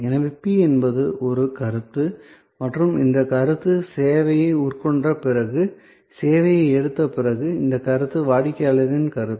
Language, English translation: Tamil, So, P is perception and this perception is customers perception after taking the service, after consuming the service